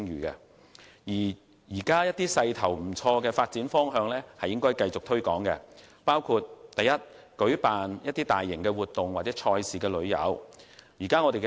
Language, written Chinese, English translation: Cantonese, 現時一些發展勢頭不錯的項目，應繼續予以推廣，包括舉辦大型活動或賽事旅遊。, Those projects with good development momentum at present should continue to be promoted such as mega events or event tourism